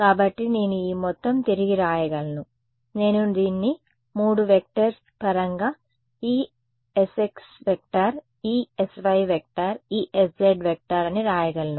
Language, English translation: Telugu, So, I can rewrite this whole thing in terms of 3 vectors like this I can write this as E s x s y s z